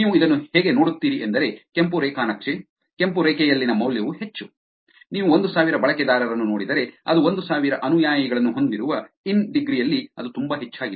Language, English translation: Kannada, The way you look at this is that the more the value on the red graph, red line is which is if you look at the 1000 users which has 1000 followers which is in degree which is very high